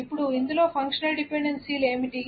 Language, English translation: Telugu, Now, what are the functional dependencies in this